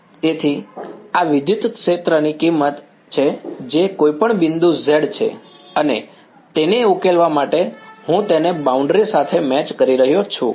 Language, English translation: Gujarati, So, this is the value of the electric field that any point z and to solve it I am matching it on the boundary